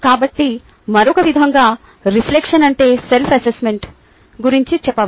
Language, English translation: Telugu, so in another way we can say: reflection is about self assessment